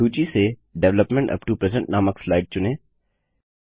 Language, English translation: Hindi, Select the slide entitled Development upto present from the list